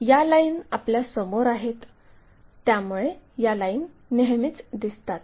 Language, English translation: Marathi, Whereas these lines are in front of us so, these lines are always be visible